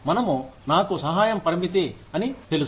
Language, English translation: Telugu, We, I know the time is limited